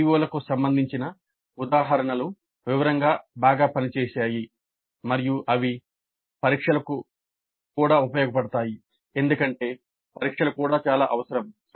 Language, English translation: Telugu, Then examples relevant to the COs worked out well in detail and also they were useful for examinations because examinations are also essential